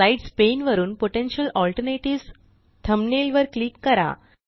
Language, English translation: Marathi, Lets click on the thumbnail Potential Alternatives from the Slides pane